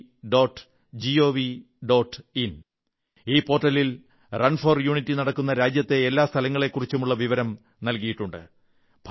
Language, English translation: Malayalam, In this portal, information has been provided about the venues where 'Run for Unity' is to be organized across the country